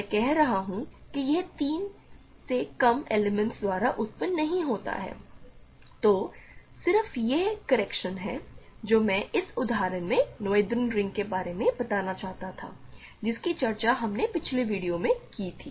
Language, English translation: Hindi, I am saying that it is not generated by less than three elements so that is just correction I wanted to make about noetherian rings in this example that we discussed in a previous video ok